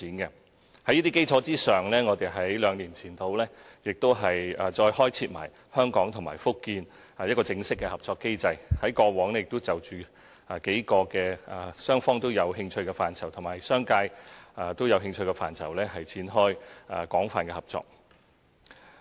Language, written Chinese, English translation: Cantonese, 在這些基礎上，我們兩年前再開設香港與福建的正式合作機制，在過往亦有就數個雙方有連繫和商界有興趣的範疇展開廣泛合作。, On these foundations two years ago we further established an official mechanism for collaboration between Hong Kong and Fujian and we have set off extensive cooperation in several areas in which both parties have maintained liaison and the business sector is interested